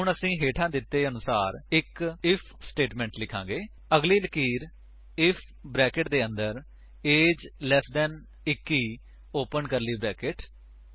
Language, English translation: Punjabi, Now, we will write an If statement as follows: Next line, if within brackets age 21 open curly brackets